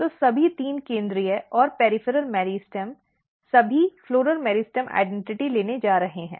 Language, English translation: Hindi, So, all three central and peripheral meristem all are going to take floral meristem identity